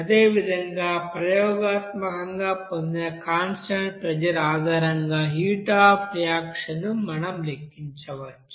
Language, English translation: Telugu, And similarly, we can calculate what should be the you know heat of reaction based on constant pressure that is experimentally obtained